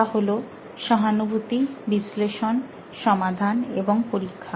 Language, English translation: Bengali, Empathize, Analyze, Solve and Test